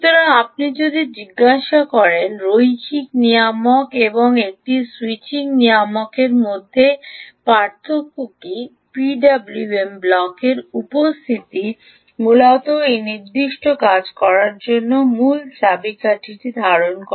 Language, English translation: Bengali, so if you ask what is the difference between a linear regulator and a switching regulator, the presence of the p w m block essentially holds the key into this particular way of working